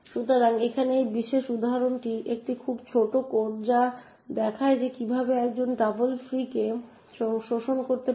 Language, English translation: Bengali, So this particular example over here is a very small code which shows how one could exploit a double free